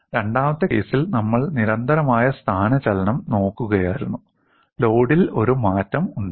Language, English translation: Malayalam, In the second case, we were looking at constant displacement; there was a change in the load